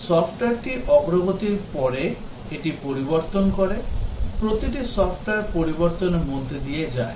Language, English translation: Bengali, Software after it has been completed development it undergoes changes, every software undergoes change